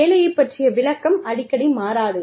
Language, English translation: Tamil, The job description could change